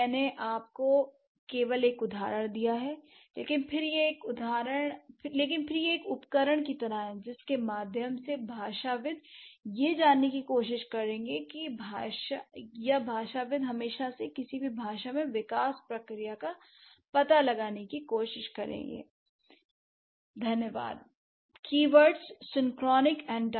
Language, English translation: Hindi, So, I just gave you an example, but then this is how or this is like a tool through which the linguists would try to figure out or the linguists have always been trying to figure out the, um, the development process in any given language